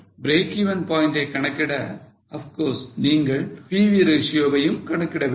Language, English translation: Tamil, For calculating break even point, of course you have to calculate the PV ratio also